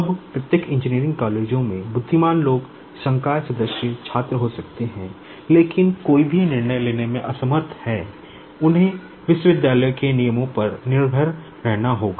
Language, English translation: Hindi, Now, at each of the engineering colleges, there could be intelligent people, faculty members, students, but there unable to take any decision they will have to depend on the university rules